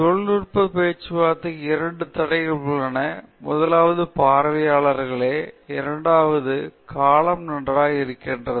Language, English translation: Tamil, There are really two constraints for a technical talk: the first is audience and the second is the duration okay